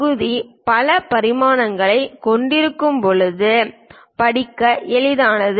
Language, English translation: Tamil, It is easier to read when the part would have many dimensions